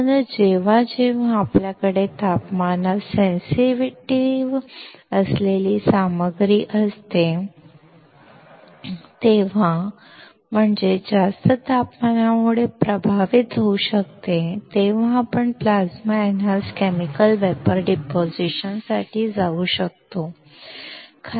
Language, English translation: Marathi, That is why whenever we have a material which is sensitive to temperature, that is, which can get affected by higher temperature, we can go for Plasma Enhanced Chemical Vapor Deposition